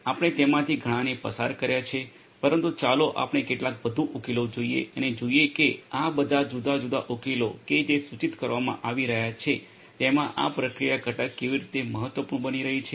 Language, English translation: Gujarati, We have gone through quite a few of them, but let us look at a few more solutions and see how this processing component is becoming important in all of these different solutions that are being proposed